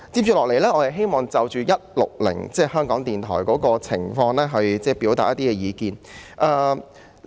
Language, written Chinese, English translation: Cantonese, 接下來，我想就"總目 160— 香港電台"的情況表達意見。, Next I wish to express my views on Head 160―Radio Television Hong Kong